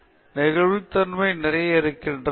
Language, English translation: Tamil, So, there’s a lot of flexibility